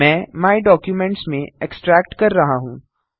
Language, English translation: Hindi, I am extracting to My Documents